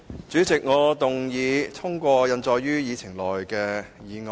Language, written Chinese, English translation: Cantonese, 主席，我動議通過印載於議程內的議案。, President I move the motion as printed on the Agenda be passed